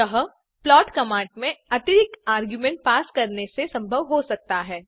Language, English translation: Hindi, This is possible by passing additional arguments to the plot command